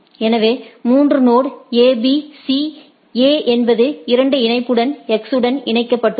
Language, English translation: Tamil, So, there are three node A B C, A is same thing A is connected to X via with a link of 2